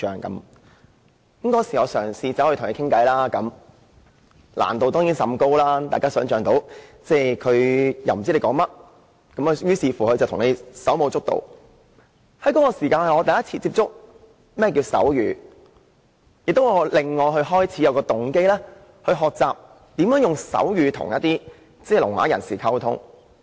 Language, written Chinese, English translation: Cantonese, 我當時嘗試與他聊天，難度當然甚高，大家可以想象得到，他不知我在說甚麼，於是便向我手舞足蹈，那是我首次接觸手語，亦令我開始有動機學習如何使用手語來與聾啞人士溝通。, I tried to chat with him but it was understandably difficult to do so as Members can all imagine . He could not understand what I was saying so he used all sorts of gestures before me . That was my first experience with sign language and I was thus motivated to learn how to use sign language to communicate with the deaf - mute